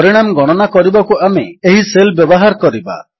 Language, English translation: Odia, We shall compute the result in this cell